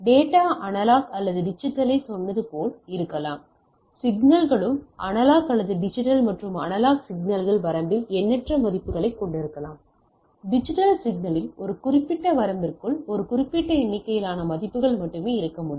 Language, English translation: Tamil, So, data can be as I told data analog or digital, signals also can be analog or digital right and analog signals can have infinite number of values in the range, a digital signal can have only a limited number of values within a particular range